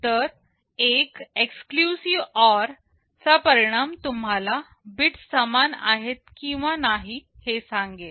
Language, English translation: Marathi, So, the result of an exclusive OR will tell you whether the bits are equal or not equal